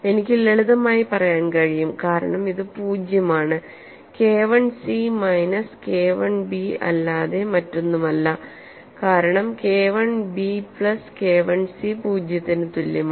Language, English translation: Malayalam, We can simply say it is zero because K 1 c is nothing but minus K 1 b as K 1 b plus K 1 c is equal to zero